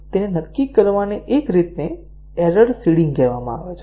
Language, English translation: Gujarati, So, one way to determine it is called as error seeding